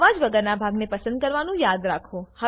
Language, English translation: Gujarati, Remember to select a portion without voice